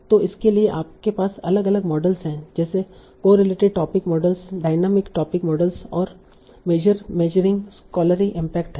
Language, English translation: Hindi, So for that we have different models like correlated topic models, dynamic type models, and measuring scholarly impact